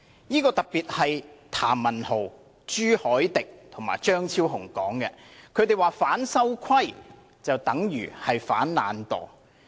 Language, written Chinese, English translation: Cantonese, 提出這說法的譚文豪議員、朱凱廸議員和張超雄議員表示，"反修規"等於"反懶惰"。, According to Members who had made such remarks namely Mr Jeremy TAM Mr CHU Hoi - dick and Dr Fernando CHEUNG opposing the amendments to RoP is tantamount to opposing laziness